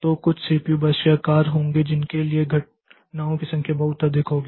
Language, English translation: Hindi, So, after some there will be some CPU burst size for which the number of occurrences will be very high